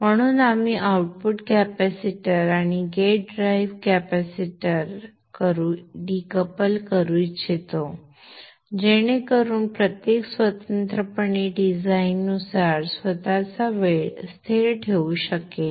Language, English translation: Marathi, So we would like to decouple the output capacitor and the gate rail capacitor so that each can independently have its own type constant as per design